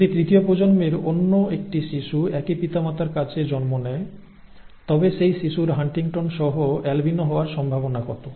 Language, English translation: Bengali, If another child of the third generation is born to the same parents, what is the probability of that child being an albino with HuntingtonÕs